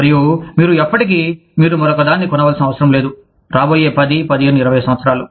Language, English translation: Telugu, And, you never, you did not need to buy another one, for the next 10, 15, 20 years